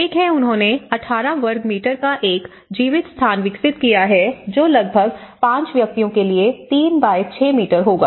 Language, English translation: Hindi, One is they developed a living space of 18 square meters, which is about 3*6 meters for up to 5 individuals